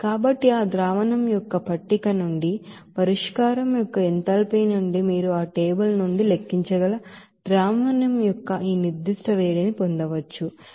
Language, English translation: Telugu, So again you know that from the table of that solution, enthalpy of solution you can get this specific heat of solution for that amount of solution that you can calculate from that table, which is coming as 6